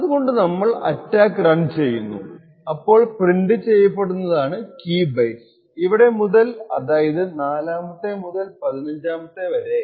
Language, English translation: Malayalam, So, in order to run we just run the attack and what gets printed are the potential key bytes from here onwards that is 4th to the 15th key bytes